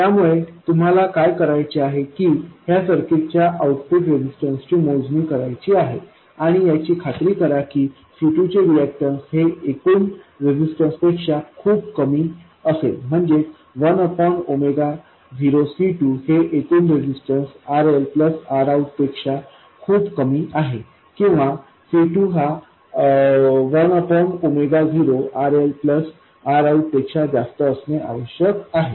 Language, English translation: Marathi, So, all you have to do is to compute the output resistance of this circuit and make sure that C2 its reactants is much smaller than the total resistance, that is 1 over omega 0 C2 is much smaller than the total resistance which is RL plus R out or C2 must be much greater than 1 by omega 0 rl plus R out